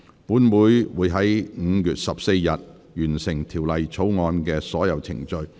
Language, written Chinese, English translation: Cantonese, 本會會在5月14日，完成《條例草案》的所有程序。, This Council will conclude all the proceedings of the Bill on 14 May